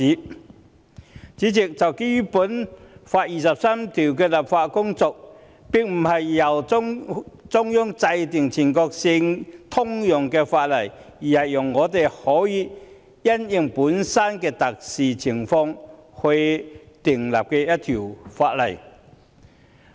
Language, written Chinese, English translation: Cantonese, 代理主席，就第二十三條立法的工作，並非由中央制定全國性通用法例，而是讓我們因應本身的特殊情況訂立一條法例。, Deputy President regarding legislating for Article 23 it should not be enacted by the Central Government to be applicable throughout the country; instead we should enact a legislation having regard to our own special circumstances